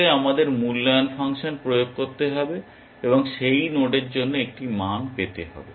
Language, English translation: Bengali, In fact we have to apply the evaluation function and get a value for that node